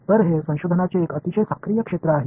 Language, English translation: Marathi, So, this is a very active area of research